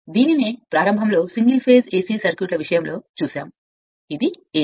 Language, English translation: Telugu, So, and philosophy by in this in single phase AC circuit in the beginning we have seen, so this is AC